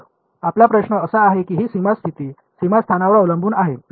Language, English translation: Marathi, So, your question is that is this boundary condition dependent on the boundary location